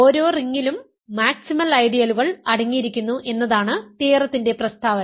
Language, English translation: Malayalam, It is the statement of the theorem which is that every ring contains maximal ideals that we will use in this course